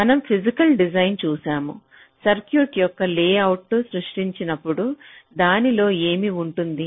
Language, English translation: Telugu, now, we have seen in physical design, so when we create the layout of the circuit, what does it contain